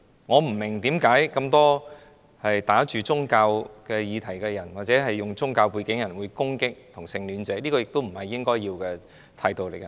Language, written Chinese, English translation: Cantonese, 我不明白為甚麼這麼多打着宗教議題的人，或有宗教背景的人會攻擊同性戀者，這並非應有的態度。, I do not understand why so many people under the disguise of religious issues or those with religious backgrounds would attack homosexuals . This is not the proper attitude to take